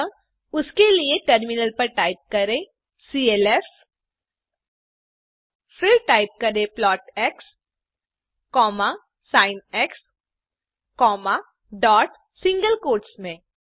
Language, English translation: Hindi, So for that type on the terminal clf, then type plot x,sin, dot in single quotes